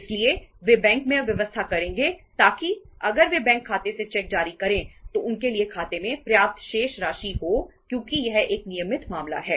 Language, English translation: Hindi, So they will make arrangement in the bank so that if they issue the cheque against the bank account so they have a sufficient balance in the account for that because itís a routine matter